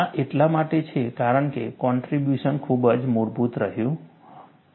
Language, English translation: Gujarati, This is because, the contribution has been very very fundamental